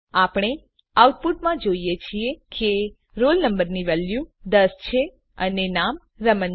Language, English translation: Gujarati, We see in the output that the roll number value is ten and name is Raman